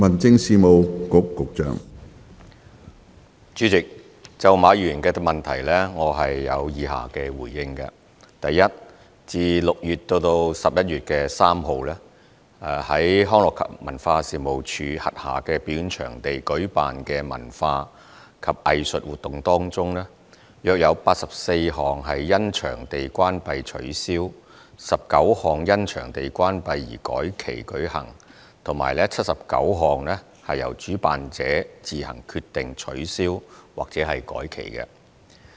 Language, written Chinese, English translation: Cantonese, 主席，就馬議員的主體質詢，我的答覆如下：一自6月至11月3日，於康樂及文化事務署轄下表演場地舉辦的文化及藝術活動中，約有84項因場地關閉取消、19項因場地關閉而改期舉行及79項由主辦者自行決定取消或改期。, President my reply to Mr MAs main question is as follows 1 Of the cultural and arts activities held from June to 3 November in performance venues under the Leisure and Cultural Services Department LCSD about 84 activities were cancelled 19 activities were rescheduled due to closure of venues and 79 activities were cancelled or rescheduled of the organizers own accord